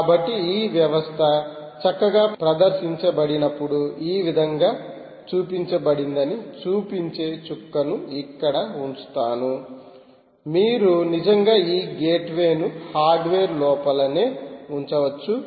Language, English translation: Telugu, so i will put a dot here showing that this system, while it is nicely demonstrated, shown this way, you can actually push this gateway inside this hardware itself, which is, it could be